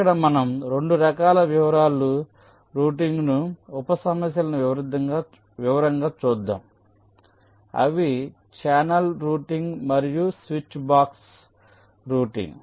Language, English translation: Telugu, so here we shall see later there are two kinds of detail routing sub problems: channel routing and switch box routing